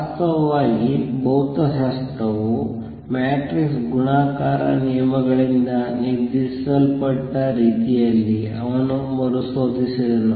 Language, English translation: Kannada, In fact, he rediscovered in a way dictated by physics the matrix multiplication rules